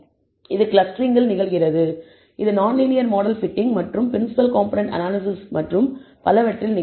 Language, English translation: Tamil, This happens in clustering, this will happen in non linear model fitting and principal component analysis and so on and it is useful